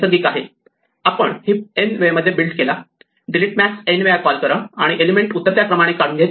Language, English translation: Marathi, We build a heap in order n time, call delete max n times and extract the elements in descending order